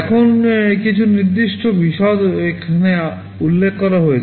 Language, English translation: Bengali, Now, some specific details are mentioned here